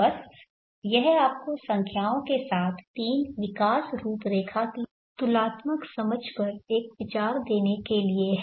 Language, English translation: Hindi, So this is just to give you an idea with the numbers a comparative understanding of the three growth profiles